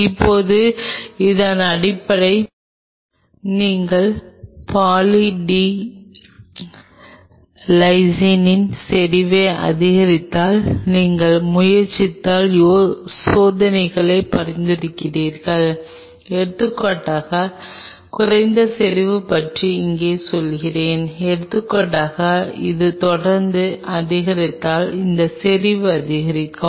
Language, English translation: Tamil, Now, based on this I can suggest you experiments if you try if you increase the concentration of Poly D Lysine on the substrate say for example, here I say about low concentration say for example, you increase this concentration if it keeps on increasing like this